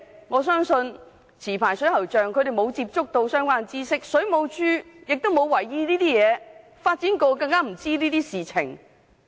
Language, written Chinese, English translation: Cantonese, 我相信持牌水喉匠沒有接觸到相關知識，水務署亦沒有為意這些情況，發展局對這些更不知情。, I think licensed plumbers actually do not have access to the relevant knowledge . WSD is not aware of the improper flux use while the Development Bureau simply does not know what is happening